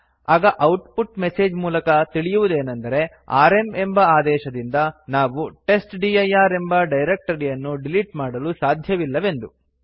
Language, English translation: Kannada, From the output message we can see that we can not use the rm directory to delete testdir